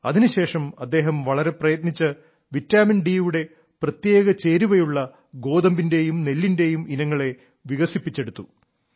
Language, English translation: Malayalam, After this he worked a lot and developed breeds of wheat and rice that specially contained vitamin D